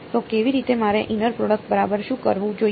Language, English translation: Gujarati, So, how, what should I do inner product right